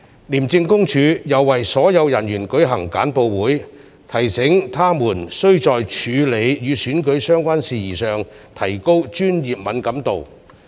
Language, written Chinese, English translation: Cantonese, 廉政公署又為所有人員舉行簡報會，提醒他們須在處理與選舉相關事宜上提高專業敏感度。, Briefings were also given to all officers to heighten their professional sensitivity when dealing with election - related matters